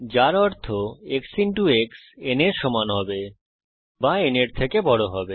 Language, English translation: Bengali, Which means either x into x must be equal to n